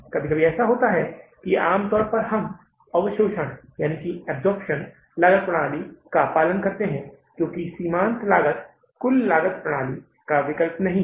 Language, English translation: Hindi, But sometimes what happens that normally we follow the absorption costing system because marginal costing is not the alternative to the total costing system